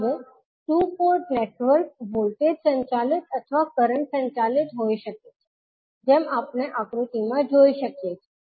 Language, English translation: Gujarati, Now, the two port network may be voltage driven or current driven as we have we can see from the figure